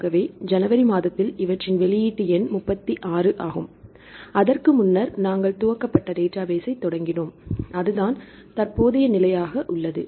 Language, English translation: Tamil, So, these in January this is the release number 36, before that we started to its initiated database and it is a current status